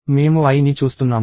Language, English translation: Telugu, We watch i